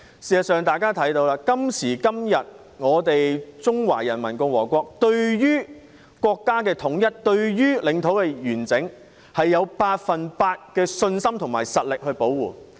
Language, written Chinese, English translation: Cantonese, 事實上，今時今日，我們中華人民共和國對國家統一、領土完整，有百分百的信心和實力保護。, In fact in this day and age we in the Peoples Republic of China have full confidence and capability in defending our national unity and territorial integrity